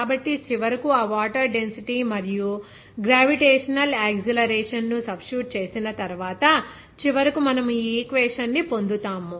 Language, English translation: Telugu, So, finally, after substitution of that water density and the gravitational acceleration and then finally, we are getting this equation